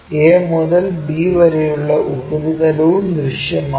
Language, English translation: Malayalam, a to b surface also visible